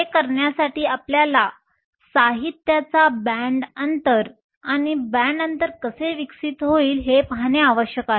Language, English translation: Marathi, In order to do that we need to look at the band gap of material and how the band gap evolves